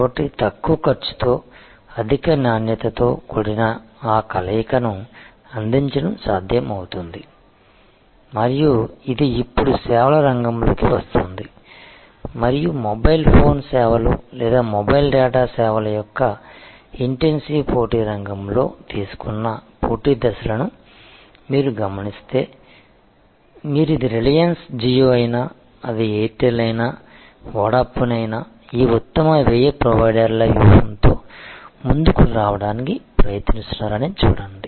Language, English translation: Telugu, So, it is possible to offer that unassailable combination of low cost, high quality and this is now coming into services field and if you observe the competitive steps taken by in the intensive competitive field of say mobile phone services or mobile data services, you will see whether it is the reliance jio, whether it is Airtel, whether it is Vodafone their all trying to come up with this best cost providers strategy